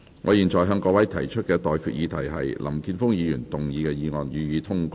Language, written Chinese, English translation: Cantonese, 我現在向各位提出的待決議題是：林健鋒議員動議的議案，予以通過。, I now put the question to you and that is That the motion moved by Mr Jeffrey LAM be passed